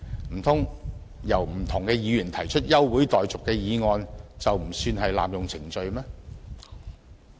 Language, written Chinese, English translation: Cantonese, 難道由不同的議員提出休會待續的議案，就不算是濫用程序嗎？, Should the moving of the adjournment of proceedings by different Members not be regarded as an abuse of procedure?